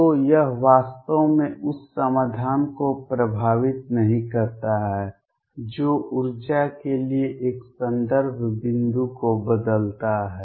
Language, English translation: Hindi, So, it does not really affect the solution all is does is changes a reference point for the energy